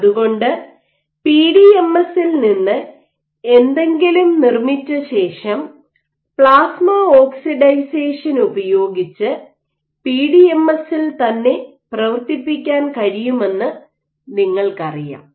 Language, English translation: Malayalam, So, after you make something from PDMS, you know you can functionalize something to PDMS using plasma oxidization ok